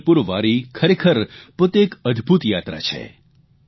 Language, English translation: Gujarati, Actually, Pandharpur Wari is an amazing journey in itself